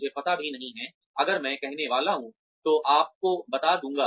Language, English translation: Hindi, I do not even know, if I am supposed to say, tell you about